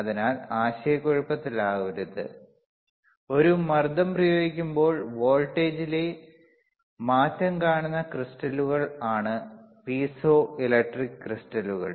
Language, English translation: Malayalam, So, do not get into confusion, piezoelectric crystals is the crystal that when we apply a pressure youwe will see the change in voltage, you will same change in voltage